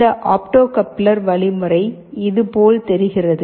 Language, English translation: Tamil, So, this opto coupler mechanism looks like this